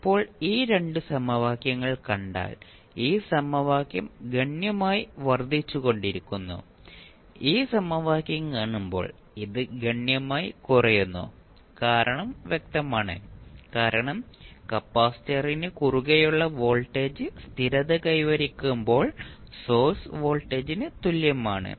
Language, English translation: Malayalam, Now, if you see these 2 equations this equation is increasing exponentially and when you see this equation this is decreasing exponentially which is obvious because when the voltage settles across the capacitor equals to the source voltage